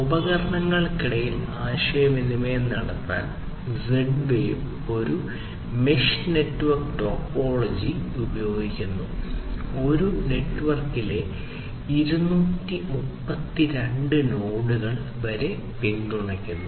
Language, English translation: Malayalam, So, Z wave uses a mesh network topology to communicate among the devices, supporting up to about 232 nodes in a network